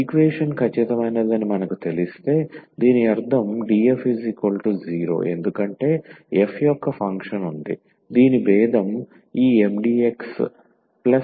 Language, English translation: Telugu, So, once we know that the equation is exact that means, this df is equal to 0 because there is a function f whose differential is this Mdx plus Ndy